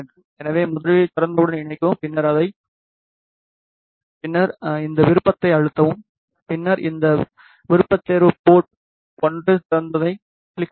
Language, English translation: Tamil, So, first connect with open and then press this option then click on this option port 1 open